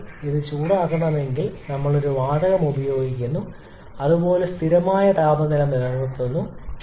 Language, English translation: Malayalam, So, if we are supposed to heat this one, we are using a gas which is maintaining a constant temperature somewhat like this